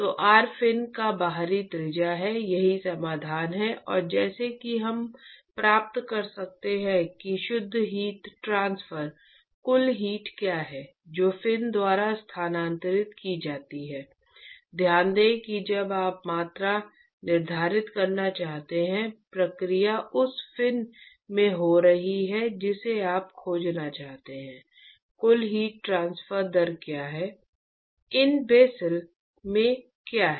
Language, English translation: Hindi, So, R is the outer radius of the fin, that is the solution and just like what we did in the last lecture one could derive what is the net heat transfer total heat that is transferred by the fin, note that when you want to quantify the process is occurring in the fin you want to find, what is the total heat transfer rate